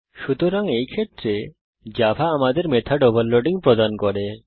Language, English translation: Bengali, So in such case java provides us with method overloading